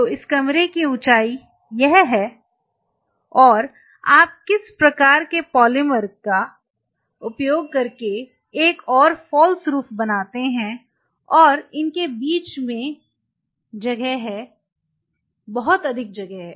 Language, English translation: Hindi, So, this is the height of the room and you just create another false roof using some kind of a polymer and in between there is a gap, a significant gap there